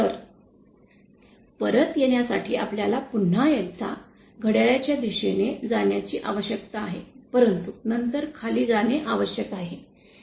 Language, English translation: Marathi, So, to come back we need to move in a clockwise direction once again but then we need to go downwards